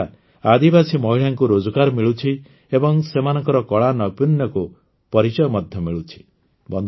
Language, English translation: Odia, This is also providing employment to tribal women and their talent is also getting recognition